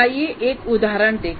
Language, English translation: Hindi, Now let us look at an example